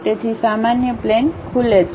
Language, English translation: Gujarati, So, normal plane opens up